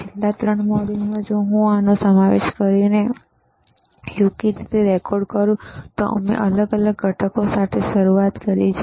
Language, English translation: Gujarati, In the in the last 3 modules, if I if I correctly record including this one, is we have started with the discrete components